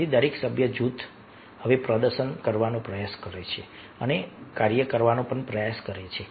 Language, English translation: Gujarati, so every member of the group now try to perform and try to do the job